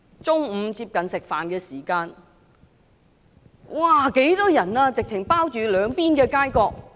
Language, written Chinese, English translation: Cantonese, 接近午膳時間，土瓜灣人十分多，擠滿兩邊街角。, Shortly before lunch time there were a lot of people crowded in To Kwa Wan with both sides of the streets teeming with people